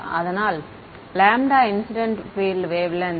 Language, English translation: Tamil, So, lambda is incident field wavelength